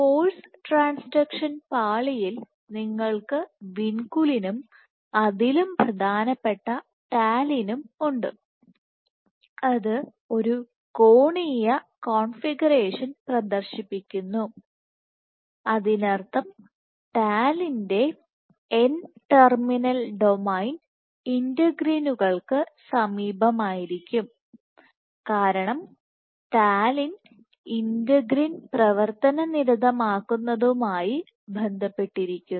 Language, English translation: Malayalam, In force transaction layer you have Vinculin and more important Talin which exists, which exhibits a angular configuration, which means that you are n terminal domain of Talin would be present close to integrins because Talin has been associated with integrin activation ok